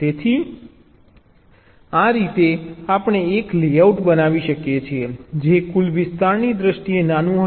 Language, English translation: Gujarati, so in this way we can create a layout which will be smaller in terms of the total area